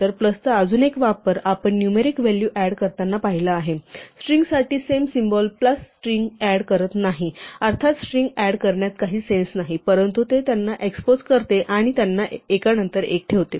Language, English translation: Marathi, So, plus, we saw for numeric values add them; for strings the same symbol plus does not add strings; obviously, it does not make sense to add strings, but it juxtaposes them, puts them one after the other